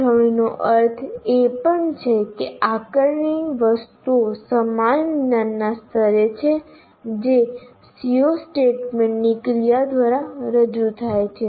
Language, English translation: Gujarati, Or in another way, alignment means the assessment items are at the same cognitive level as represented by the action verb of the C O statement